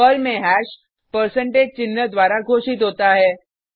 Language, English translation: Hindi, Hash in Perl is declared with percentage sign